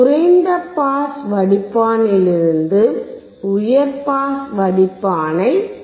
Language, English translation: Tamil, And you can get high pass filter from low pass filter